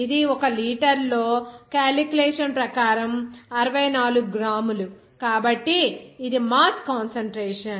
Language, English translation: Telugu, It will be simply that since it is 64 gram as per calculation in 1 liter, so it is the mass concentration